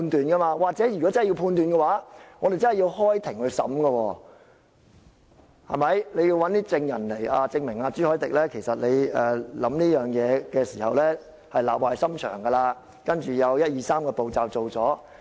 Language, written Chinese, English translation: Cantonese, 如果主席真的要作出判斷，我們真的要開庭審訊，主席要找證人證明朱凱廸提出這議案是立壞心腸，接着進行一、二、三個步驟。, If the President is to make a convincing judgment he may have to bring the matter to court and find witnesses to prove that Mr CHU Hoi - dick moved the motion out of ill intention and then go through other steps